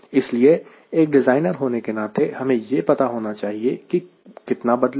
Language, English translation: Hindi, so as a designer i need to know how much it will change and keep